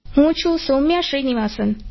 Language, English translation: Gujarati, I am Soumya Srinivasan